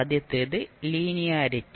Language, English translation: Malayalam, First is linearity